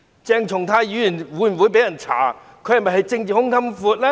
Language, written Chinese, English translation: Cantonese, 鄭松泰議員會否願意被人調查？, Will Dr CHENG Chung - tai be willing to be investigated?